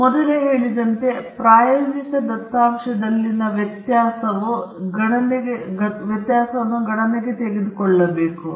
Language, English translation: Kannada, As I said earlier, the variability in the experimental data has to be accounted for